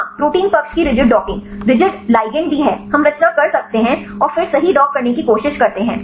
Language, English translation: Hindi, Yeah rigid docking of protein side is rigid ligand also we can make the conformation and then try to dock right